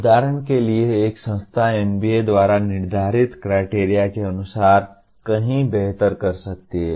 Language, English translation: Hindi, For example, an institution can do far better than as per the norms that are set by NBA